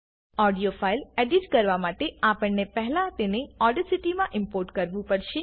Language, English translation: Gujarati, To edit an audio file, we need to first import it into Audacity